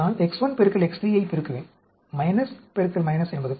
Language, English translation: Tamil, So, if I multiply X 5 by X 6, what will happen